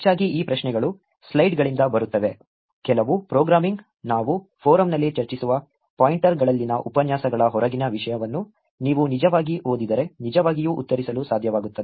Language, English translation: Kannada, Mostly these questions will be from slides, some programming; something that should actually be able to answer if you actually read content outside the lectures in the pointers that we discuss in the forum also